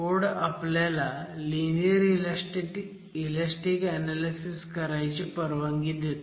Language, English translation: Marathi, So firstly, should we be doing linear elastic analysis